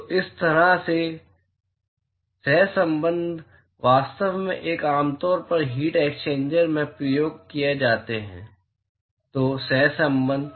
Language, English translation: Hindi, So, these kind of correlation are actually very commonly used in the heat exchangers at the; so, the correlation